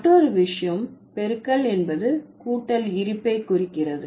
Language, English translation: Tamil, The other thing is that the existence of multiplication implies the existence of addition